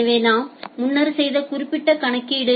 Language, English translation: Tamil, So, that particular calculation we did earlier